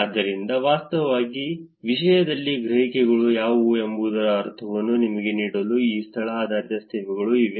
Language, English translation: Kannada, So, just to give you a sense of what are the perceptions in terms of actually these location based services